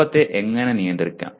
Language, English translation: Malayalam, And how do you manage anger